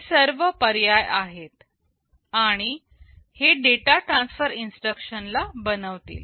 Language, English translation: Marathi, These options are all there, and these will constitute data transfer instructions